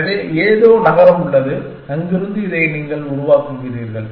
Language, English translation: Tamil, So, there is some city and from there you constructing this